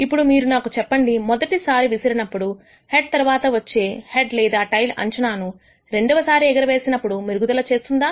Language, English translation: Telugu, Now if you tell me that the first toss is a head then does it allow you to improve the prediction of a head or a tail in the second toss